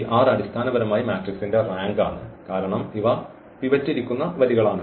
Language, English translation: Malayalam, So, this n minus r or this r is the rank basically of the matrix because these are the rows where the pivot is sitting